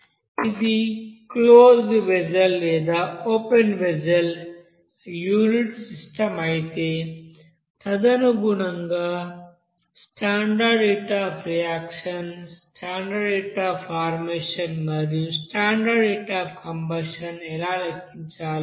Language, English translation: Telugu, If it is suppose closed vessel or if it is open condition or open vessel system, open process unit system there accordingly how to calculate that standard heat of reaction, standard heat of you know formation, standard heat of you know combustion, that we have described